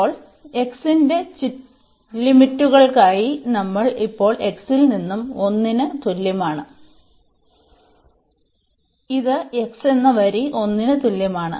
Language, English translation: Malayalam, So, now, for the limits of x, we are now moving from x is equal to 1 this is the line x is equal to 1